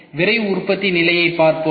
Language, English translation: Tamil, Let us see the Rapid Manufacturing status ok